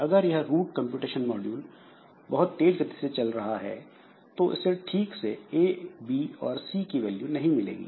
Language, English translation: Hindi, Now if this A B is the root computation module is very fast then of course it will not get the proper values of A, B and C